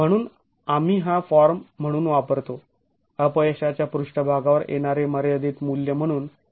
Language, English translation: Marathi, So, we use this, we use this form as the as the limiting value for arriving at the failure surface